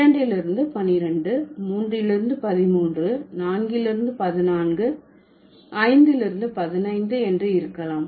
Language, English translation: Tamil, So, from 1 we can have 11, from 2, can have 12, from 3 we can have 13, from 4 we can have 14 and from 5 we can have 15